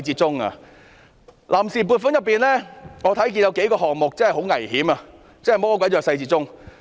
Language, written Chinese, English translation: Cantonese, 從臨時撥款中我看到有數個項目很危險，真是魔鬼在細節中。, Among the items include in the funds on account I notice several high - risk items . Really the devil is in the detail